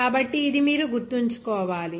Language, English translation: Telugu, So, that you have to remember